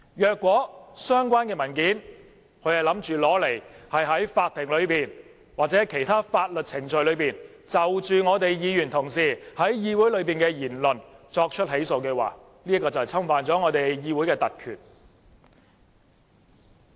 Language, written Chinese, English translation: Cantonese, 如果相關文件是在法庭內或其他法律程序中，就我們議員同事在議會內的言論作出起訴，這便侵犯了我們議會的特權。, If the documents are used in the Court or other legal proceedings for initiating prosecution against a Member in respect of the words he said in the Council this will constitute an infringement of the privilege of our legislature